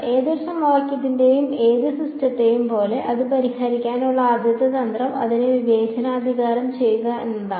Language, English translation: Malayalam, As with any system of any equation that you see the first strategy to solve it is to discretize it